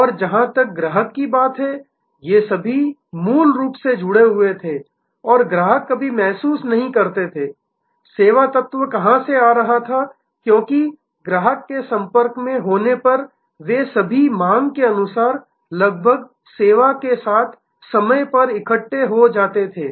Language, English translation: Hindi, And they as far as the customer was concerned, all these were seamlessly connected and the customer never felt, where the service element was coming from, because they were all assembled almost on time on demand in front of the, when the customer was in contact with the service stream